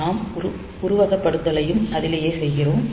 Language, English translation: Tamil, So, we do the simulation and all that